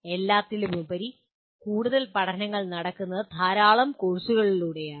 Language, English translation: Malayalam, After all, much of the learning is done through a large number of core courses